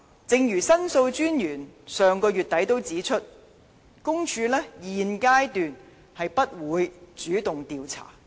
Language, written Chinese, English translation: Cantonese, 正如申訴專員上月底亦指出，公署現階段不會主動調查。, As pointed out by The Ombudsman at the end of last month her office will not take the initiative to commence an investigation at this stage